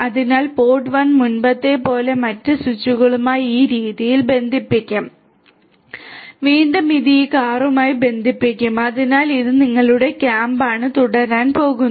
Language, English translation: Malayalam, So, pod 1 also like before is going to be connected to other switches in this manner right and again it also will be connected to these core so, this is your core so, like this is going to continue